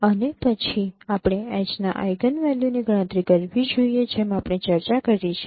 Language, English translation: Gujarati, And then we should compute the eigenvalues of H as we discussed